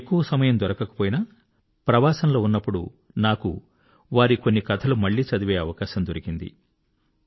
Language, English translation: Telugu, Of course, I couldn't get much time, but during my travelling, I got an opportunity to read some of his short stories once again